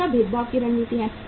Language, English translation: Hindi, Second is differentiation strategy